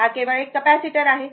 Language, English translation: Marathi, It is a capacitor only